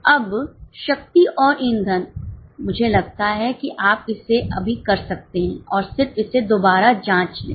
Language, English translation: Hindi, Now power and fuel I think you can do it now and just cross check with these figures